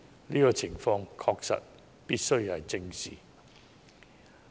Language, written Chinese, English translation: Cantonese, "這個情況確實必須正視。, This situation must really be addressed